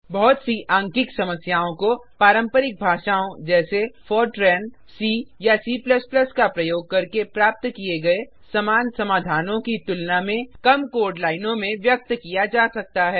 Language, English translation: Hindi, Many numerical problems can be expressed in a reduced number of code lines, as compared to similar solutions using traditional languages, such as Fortran, C, or C++